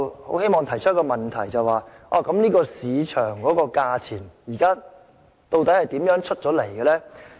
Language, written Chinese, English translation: Cantonese, 我希望提出一個問題，究竟這個市場價錢是如何得出來的？, I wish to ask a question exactly how do such market rates come about?